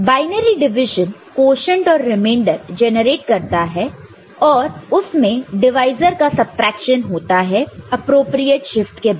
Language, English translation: Hindi, And binary division will generate quotient and remainder and it involves subtraction of divisor after again appropriate shift